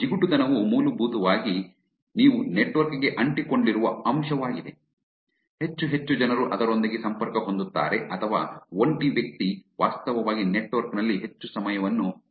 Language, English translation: Kannada, Stickiness is basically is a factor by which you are actually glued on to the network, more and more people get connected to it or single person is actually spending more time on the network